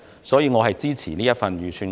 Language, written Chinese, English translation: Cantonese, 所以，我支持這份預算案。, Therefore I support this Budget